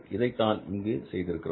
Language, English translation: Tamil, And that's what we did it